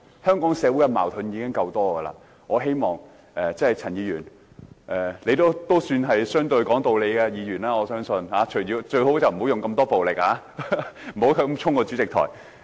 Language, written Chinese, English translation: Cantonese, 香港社會的矛盾已經夠多，我相信陳議員也是相對講道理的議員，最好不要使用這麼多暴力，不要衝往主席台。, There are enough disputes in Hong Kong society already . I believe Mr CHAN is fairly reasonable . They had better not engage in so much violence